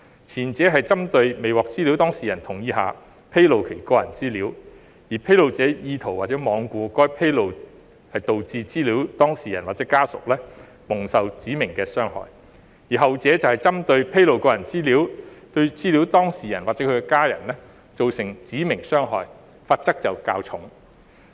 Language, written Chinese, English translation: Cantonese, 前者針對未獲資料當事人同意下披露其個人資料，而披露者意圖或罔顧該披露導致資料當事人或其家人蒙受指明傷害；後者則針對披露個人資料對資料當事人或其家人造成指明傷害，罰則較重。, The former targets disclosure of personal data without the data subjects consent where the discloser has an intent or is being reckless as to the causing of any specified harm to the data subject or any family member of the data subject by that disclosure . The latter carrying a heavier penalty targets disclosure of personal data causing specified harm to the data subject or his or her family member